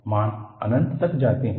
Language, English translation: Hindi, The values go to infinity